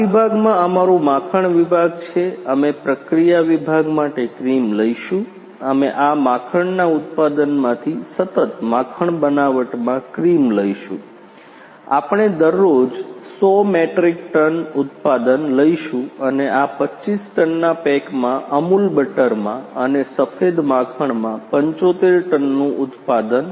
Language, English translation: Gujarati, From cream we will make this is our butter section in this section we will take cream for process section, we will take cream in continuous butter making from this buttering production we will take production daily 100 metric ton and in these 25 ton pack in Amul butter and 75 ton production in white butter